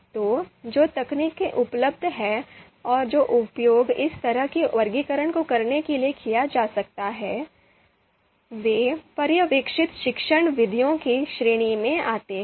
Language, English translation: Hindi, So the techniques which are available and which could be used to perform this kind of classification, they are they come under the category of supervised you know supervised you know you know learning methods